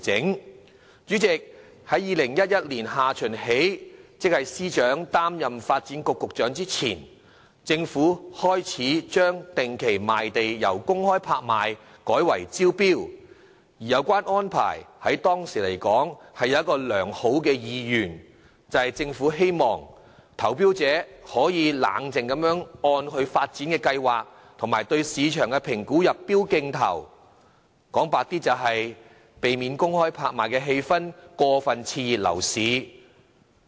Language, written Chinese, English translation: Cantonese, 代理主席，自2011年下旬起，即司長擔任發展局局長前，政府開始將定期賣地安排由公開拍賣改為招標，而有關安排在當時來說是有其良好意願，就是希望投標者可以冷靜地按其發展計劃及對市場的評估入標競投，坦白一點說，就是避免公開拍賣的氣氛過分刺激樓市。, Deputy President since late 2011 that is before the Financial Secretary assumed office as the Secretary for Development the Government has started conducting regular land sales by way of tender rather than by public auction . The arrangement was adopted out of good intention then as the Government wanted bidders to submit bids calmly having regard to their development plans and assessment of the market . Honestly the measure was taken to prevent overstimulation of property prices by the conduct of public land auctions